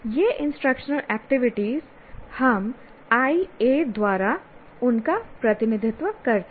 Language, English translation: Hindi, So what happens we, these instructional activities, we represent them by IA